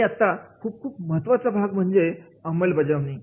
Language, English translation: Marathi, Now, there comes the very very important part that is the implementation